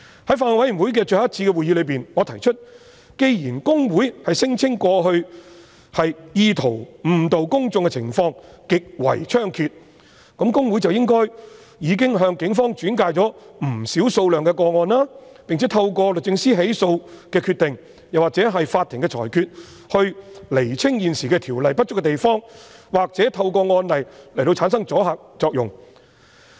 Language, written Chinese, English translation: Cantonese, 在法案委員會最後一次的會議上，我提出既然公會聲稱過去意圖誤導公眾的情況極為猖獗，那麼公會理應向警方轉介不少個案，並且透過律政司作出起訴的決定或取得法庭的裁決，以釐清現時《條例》不足的地方，或透過案例來產生阻嚇作用。, At the last meeting of the Bills Committee I mentioned that since HKICPA claimed that cases intending to mislead the public were rampant HKICPA should have referred many cases to the Police and decisions of prosecution should have been made through the Department of Justice or judgments should have been obtained from the courts to clarify the inadequacies of the existing Ordinance or produce a deterrent effect by establishing precedents